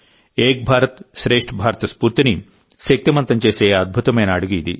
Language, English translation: Telugu, This is a wonderful initiative which empowers the spirit of 'Ek BharatShreshtha Bharat'